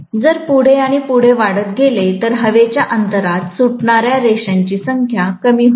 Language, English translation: Marathi, If the reluctance increases further and further, the number of lines that are escaping into the air gap will decrease